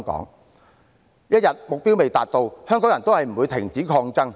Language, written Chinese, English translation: Cantonese, 目標一日未達，香港人也不會停止抗爭。, Hongkongers will not stop fighting as long as the goals are not reached